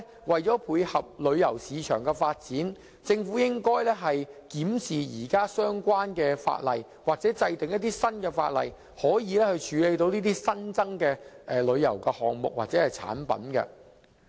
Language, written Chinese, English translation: Cantonese, 為配合旅遊市場的發展，我相信政府亦應檢視現有相關法例或制定新法例，以處理這些新增的旅遊項目或產品。, I believe the Government should review the existing relevant legislation or enact new legislation for the purpose of dovetailing with the development of the tourism market and dealing with such new tourism items or products